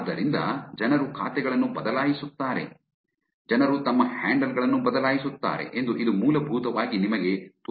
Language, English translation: Kannada, So this basically shows you that people change accounts, people change their handles